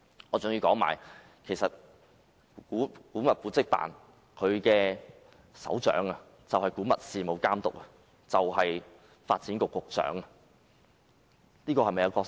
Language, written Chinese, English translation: Cantonese, 我更要指出，古蹟辦的首長，即古物事務監督，其實就是發展局局長。, I also have to point out that the head of AMO ie . the Antiquities Authority is the Secretary for Development